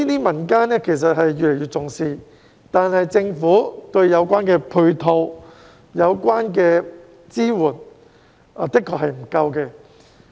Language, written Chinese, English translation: Cantonese, 民間對此越來越重視，但政府對有關的配套和支援確實不足。, While the community is paying more and more attention to this matter the relevant ancillary measures and support from the Government are indeed inadequate